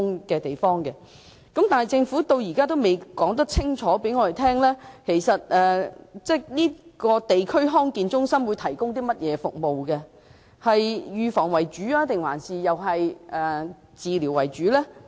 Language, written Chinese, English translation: Cantonese, 不過，政府至今仍未能清楚告訴我們，這間地區康健中心會提供甚麼服務，以及究竟會是預防還是治療為主。, But so far the Government has not told us clearly about the services that this District Health Centre will provide and whether its services will be prevention - based or treatment - based